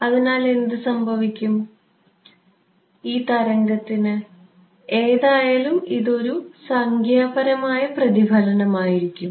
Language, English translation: Malayalam, So, what happens to this wave, anyway this reflected there will be a numerical reflection right